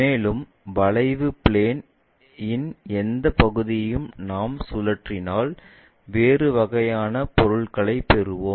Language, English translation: Tamil, And, any part of the curve plane if we revolve it, we will get different kind of objects